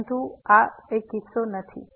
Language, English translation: Gujarati, But this is not the case